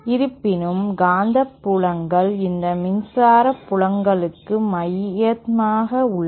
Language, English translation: Tamil, The magnetic fields however are concentric to these electric fields